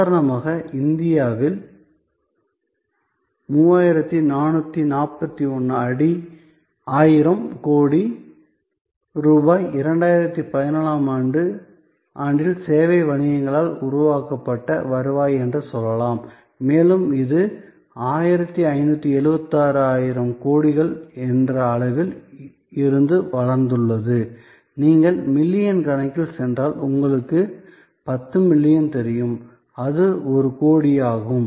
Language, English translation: Tamil, So, so much to say that in India for example, 3441 thousand crores of rupees were the revenue generated by service businesses in 2014 and this has grown from the level of 1576 thousand crores and if you go in millions you know 10 billion, so it is a crore